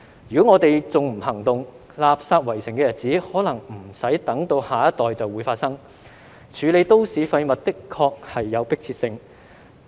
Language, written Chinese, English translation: Cantonese, 如果我們還不行動，垃圾圍城的日子可能不用等到下一代就會發生，處理都市廢物的確是有迫切性。, If we do not take any action the city will be besieged by waste before the next generation comes along . There is indeed an urgency to deal with MSW